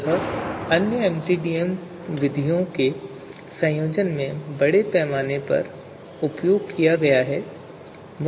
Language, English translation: Hindi, So this has been used extensively in combination with other MCDM methods